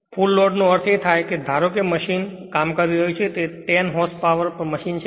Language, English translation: Gujarati, So, a full load means suppose machine operating say 10 h p machine is there